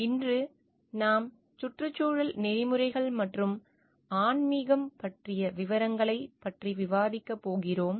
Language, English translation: Tamil, Today we are going to discuss about the details of Environmental Ethics and Spirituality